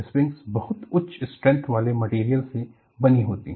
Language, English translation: Hindi, Springs are made of very high strength material